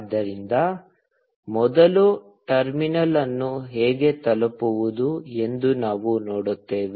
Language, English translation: Kannada, So, first, we will see how to reach the terminal